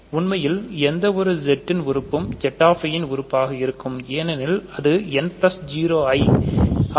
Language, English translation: Tamil, In fact, any n is an element of Z i right for all n in Z, because it is n plus i time 0